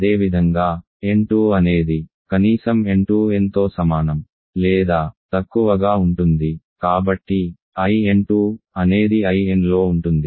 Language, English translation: Telugu, Similarly, n 2 is at least n 2 is less than equal to n so, I n 2 is contained in I n